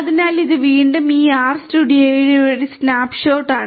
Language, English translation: Malayalam, So, again this is a snapshot of this R studio